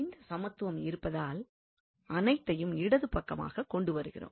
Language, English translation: Tamil, So having this equation equality we can bring everything to the left hand side